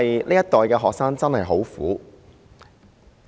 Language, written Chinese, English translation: Cantonese, 這一代學生真的很苦。, Students of this generation really suffer